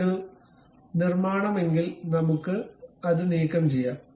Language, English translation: Malayalam, If it is a construction one we can remove that